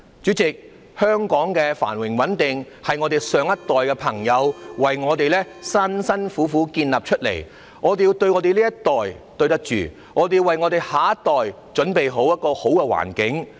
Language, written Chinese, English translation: Cantonese, 主席，香港的繁榮穩定是上一代為我們辛苦地建立的，我們要對得起這一代，也要為下一代準備一個好環境。, President Hong Kongs prosperity and stability were created by the last generation for us through hard work . We have to do the right thing for the present generation and also prepare a good environment for the next